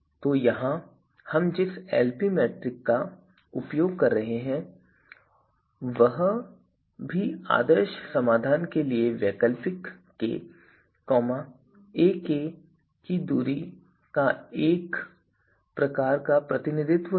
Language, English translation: Hindi, So, here the metric Lp metric that we are that we are using is also a kind of you know representation of a distance of an alternative k, ak to the ideal solution